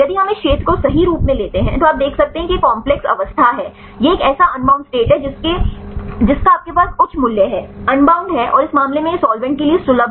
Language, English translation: Hindi, If we take this region right then you can see this is the complex state, this is the unbound state which one you have the higher value, unbound and in this case it is accessible to solvent